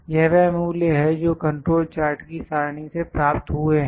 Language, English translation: Hindi, These are the values which are obtained from the table of control charts